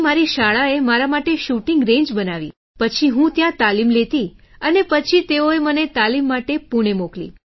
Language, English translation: Gujarati, Then my school made a shooting range for me…I used to train there and then they sent me to Pune for training